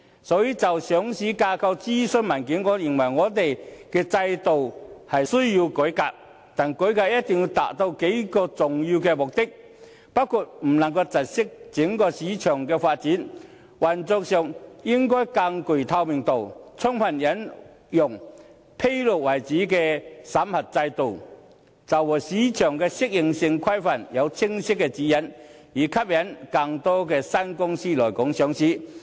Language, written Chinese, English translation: Cantonese, 所以，就上市架構諮詢文件而言，我認為我們的制度需要改革，但改革一定要達到數個重要目的，包括不能窒礙整體市場發展、運作上應更具透明度、充分引用以披露為主的審核制度，以及就市場適應性規範訂定清晰的指引，以吸引更多新公司來港上市。, Therefore regarding the consultation paper on the listing structure I maintain that our system needs reform but the reform must achieve several important objectives including not obstructing the overall development of the market allowing more operational transparency in the system fully adopting a disclosure - based system of vetting and approval and setting out clear guidelines on market adaptability in order to attract more new companies to list in Hong Kong